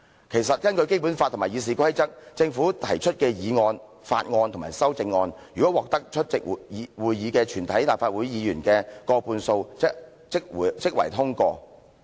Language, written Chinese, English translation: Cantonese, 其實根據《基本法》及《議事規則》，政府提出的議案、法案及修正案，如果獲得出席會議的立法會議員的過半數支持即會通過。, Actually in accordance with the Basic Law and RoP a government motion bill or amendment will be passed if a majority of the LegCo Members present at the meeting render their support